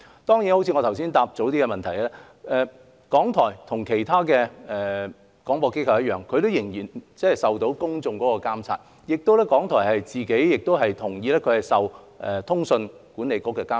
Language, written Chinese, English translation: Cantonese, 當然，正如我剛才回答議員的質詢時所說，港台跟其他廣播機構一樣，仍然受公眾的監察，而港台亦同意受通訊局的監察。, Of course as I just said in reply to Members questions RTHK is still subject to scrutiny by the public and monitoring by the Communications Authority in the same way other broadcasters are